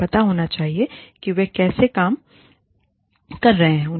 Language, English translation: Hindi, They should know, how they are working